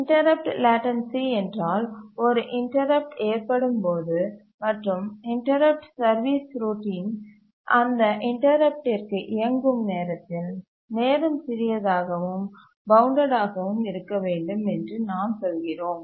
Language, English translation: Tamil, What we mean by the interrupt latency is that when an interrupt occurs and by the time the interrupt service routine runs for that interrupt, the time must be small and bounded